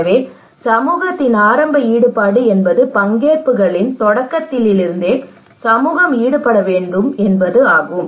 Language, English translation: Tamil, So early engagement of the community it means that community should be involved from the very beginning of the participations